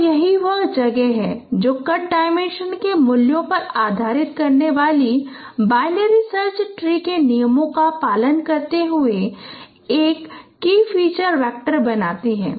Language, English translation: Hindi, So that is what places a key feature vector following the rules of binary search tree comparing on the value of the card dimension